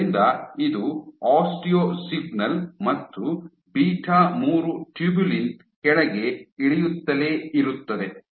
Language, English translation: Kannada, So, this is an osteo signal and your beta three tubulin keeps going down there is a drop